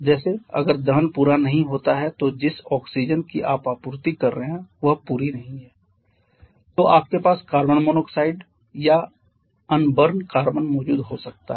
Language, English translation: Hindi, Like if the combustion is not complete like the amount of oxygen that you are supplying that is not complete you may have carbon monoxide or unburned carbon present there